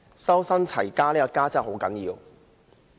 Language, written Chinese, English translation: Cantonese, "修身、齊家"的"家"真的很重要。, The word families in the saying is really very important